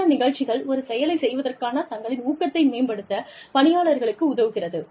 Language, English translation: Tamil, Some program, that helps people, enhance their motivation, for doing things